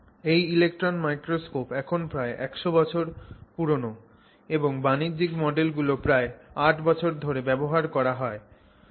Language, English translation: Bengali, So the electron microscope itself has been around now for nearly 100 years and the commercial models have been available since 1939 in to varying degrees